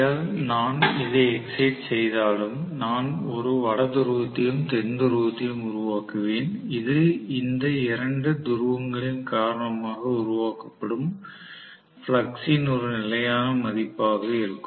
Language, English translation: Tamil, Even if I excite this by DC, I would create rather a North Pole and South Pole which will be, you know a constant value of flux that will be created because of these two poles, North Pole and South Pole